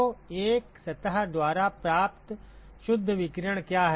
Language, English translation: Hindi, So, what is the what is the net irradiation received by a surface